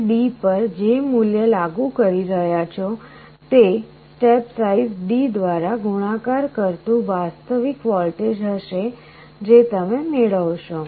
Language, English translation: Gujarati, So, whatever value you are applying to D, that step size multiplied by D will be the actual voltage you will be getting